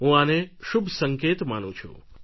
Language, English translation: Gujarati, I consider this as a positive sign